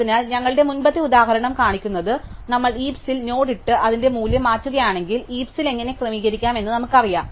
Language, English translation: Malayalam, So, what our previous example showed us is, if we, if we put our finger on the node in the heap and change its value, we know how to adjust the heap